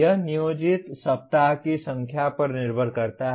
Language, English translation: Hindi, It depends on the number of planned week